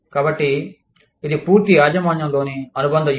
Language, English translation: Telugu, So, this is the, wholly owned subsidiary strategy